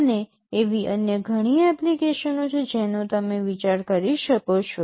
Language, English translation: Gujarati, And there are many other similar applications you can think of